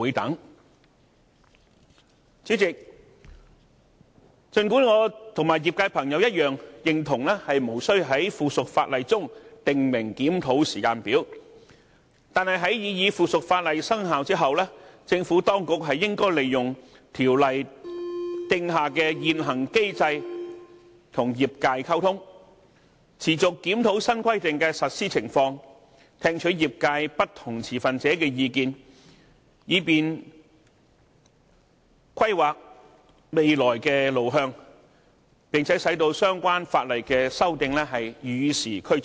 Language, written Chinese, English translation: Cantonese, 代理主席，儘管我與業界朋友一樣，認同無須在附屬法例中訂明檢討時間表，但在擬議附屬法例生效後，政府當局理應利用《條例》訂下的現行機制和業界溝通，持續檢討新規定的實施情況，聽取業界不同持份者的意見，以便規劃未來的路向，並使相關法例的修訂與時俱進。, Deputy President although I agree with members of the industry that it is not necessary to specify a review timetable in the subsidiary legislation however once the proposed subsidiary legislation comes into effect the Administration should communicate with the sector through the existing mechanism under CWRO to continuously review the implementation of the new requirements . It should also listen to the views of different industry stakeholders in order to plan the way forward and keep the amendments abreast of the times